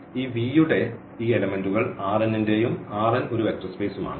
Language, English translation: Malayalam, So, this elements of this V belongs to R n and R n is a vector space